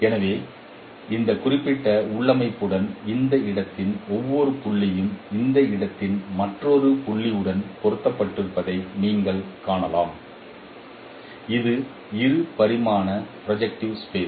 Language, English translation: Tamil, So you can see that with this particular configuration every point in this space is mapped to another point in this space which is also a two dimensional projective space